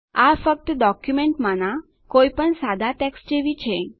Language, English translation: Gujarati, It is just like any normal text in the document